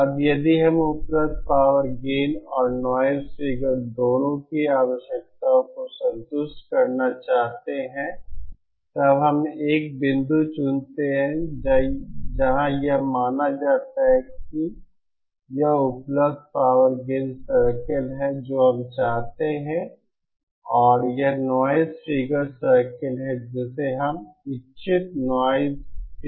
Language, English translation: Hindi, Now if we want to satisfy both the available power gain requirement and the noise figure requirement then we choose a point where, suppose this is the available power gain circle we want to we have and this is the noise figure circle we what the desired noise figure